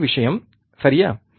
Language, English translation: Tamil, The same thing, right